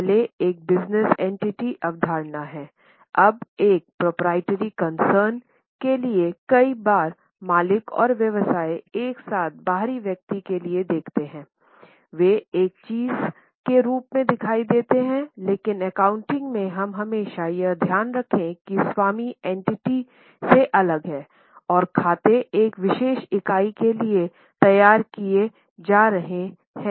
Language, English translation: Hindi, Now, many times for a proprietary concern, the owner and the business look together for the outsider they appear as one thing, but in accounting we always keep in mind that owner is separate from the entity and the accounts are being prepared for a particular entity